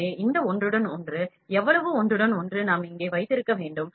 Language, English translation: Tamil, So, this overlap, how much overlap, we need to we can keep here